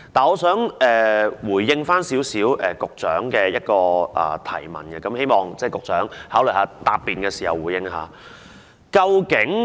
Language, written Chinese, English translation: Cantonese, 我想對局長的提問作出少許回應，希望局長考慮在答辯時回應一下。, I wish to make a brief response to the question put forward to the Secretary and I hope the Secretary will respond to that in his reply